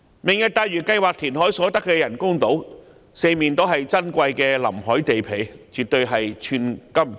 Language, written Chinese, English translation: Cantonese, "明日大嶼"計劃填海所得的人工島，四周皆是珍貴的臨海地皮，絕對是寸金尺土。, On the precious waterfront sites along the coast of the artificial islands to be created by reclamation under the Lantau Tomorrow Plan a square foot of land will certainly be worth an inch of gold